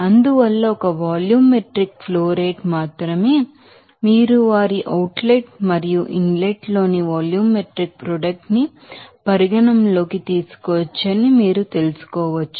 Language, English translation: Telugu, So, in that case only volumetric flow rate you can you know consider their outlet and also volumetric product in the inlet